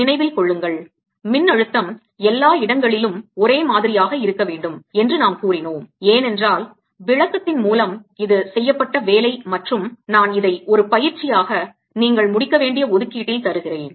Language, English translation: Tamil, remember we said potential should be the same everywhere because of the interpretation that this is the work done and i'll leave this is as an exercise and give it in the assessments for you to complete